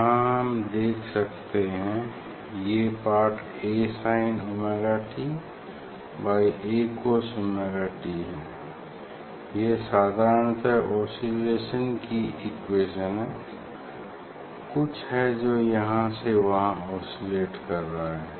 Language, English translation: Hindi, here we one can think that this part is the, so A sin omega t by A cos omega t that generally we this is the oscillation this equation of oscillation something is oscillating